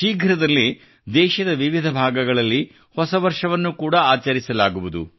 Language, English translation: Kannada, New year will also be celebrated in different regions of the country soon